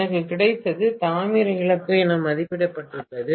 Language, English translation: Tamil, What I have got is rated copper loss